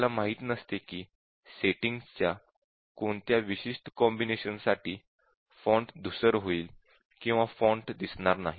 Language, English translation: Marathi, So we do not know whether for a specific combination of these settings, the font will get smudged or the font does not appear